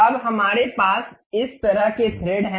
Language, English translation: Hindi, Now, we have such kind of thread